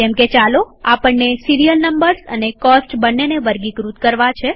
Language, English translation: Gujarati, Lets say, we want to sort the serial numbers as well as the cost